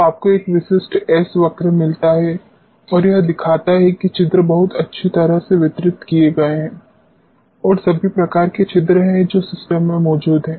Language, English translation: Hindi, So, you get a typical s curve and what it shows is that the pores are very well distributed and there are all sorts of pores which are present in the system